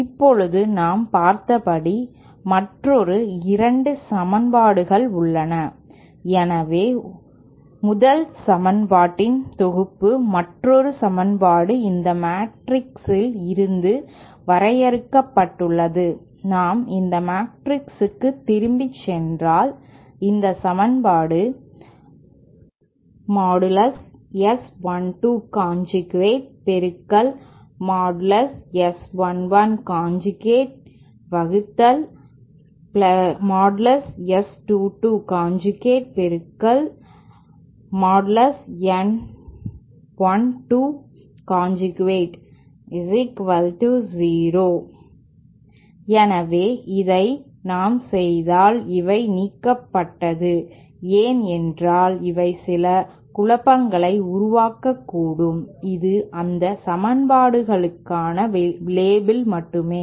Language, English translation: Tamil, Now we have another 2 equations as we saw so 1 other set of equation 1 another equation from this matrix if we go back to this matrix we still have this equation that is S 1 2 conjugate times S 1 1 plus S 2 2 conjugate times S 1 2 is equal to 0, so if we equate this let me rub out these these terms these might create some confusion, this is just a label for those equations